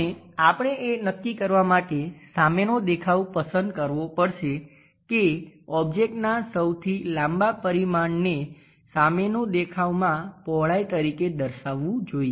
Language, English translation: Gujarati, Now, we have to pick the front view to decide that longest dimension of an object should represented as width in front view